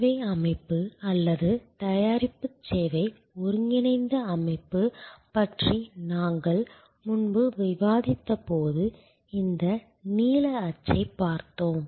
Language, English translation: Tamil, As earlier when we discussed about the servuction system or product service integral system, we looked at this blue print